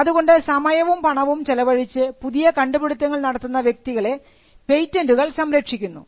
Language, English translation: Malayalam, So, patents grant a protection for people who would invest time and effort in creating new things